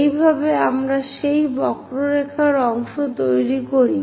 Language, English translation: Bengali, This is the way we construct part of that curve